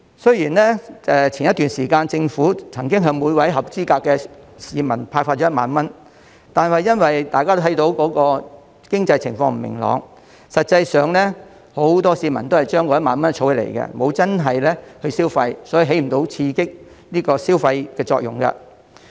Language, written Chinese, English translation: Cantonese, 雖然早前特區政府曾經向每名合資格市民派發1萬元，但因為大家看到經濟情況不明朗，實際上，很多市民都是將那1萬元儲起，沒有真正消費，所以起不到刺激消費的作用。, The SAR Government handed out 10,000 for each eligible citizen earlier . However due to the uncertain economic situation many people have kept the money instead of spending it . The measure failed to stimulate spending